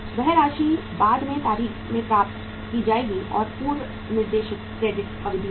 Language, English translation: Hindi, That amount will be received at the later date and there is a pre specified credit period